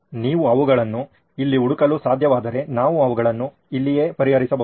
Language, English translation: Kannada, If you can catch them here, we can even address them right here